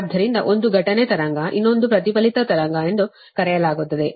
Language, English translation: Kannada, so one is incident wave, another is called the reflected wave right